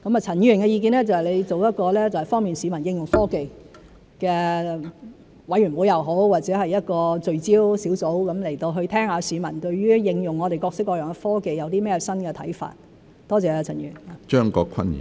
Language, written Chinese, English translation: Cantonese, 陳議員的意見就是成立方便市民應用科技的委員會或聚焦小組，去聽取市民對於應用我們各式各樣的科技有甚麼新看法，多謝陳議員。, Mr CHANs view is that a committee or focused group should be set up to facilitate the use of technologies by the public and gauge their new views on the application of our various types of technologies . Thank you Mr CHAN